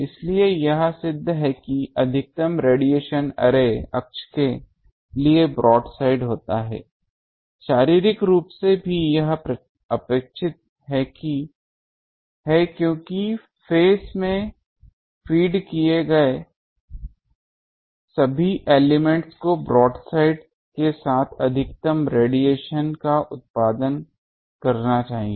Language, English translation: Hindi, So, it is proved that; the maximum radiation occurs broadside to the array axis, physically also this is expected as all elements fed in phase should be producing maximum radiation along the broadside